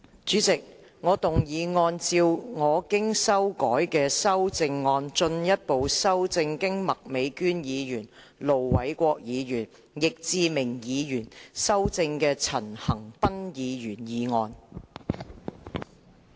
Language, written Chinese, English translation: Cantonese, 主席，我動議按照我經修改的修正案，進一步修正經麥美娟議員、盧偉國議員及易志明議員修正的陳恒鑌議員議案。, President I move that Mr CHAN Han - pans motion as amended by Ms Alice MAK Ir Dr LO Wai - kwok and Mr Frankie YICK be further amended by my revised amendment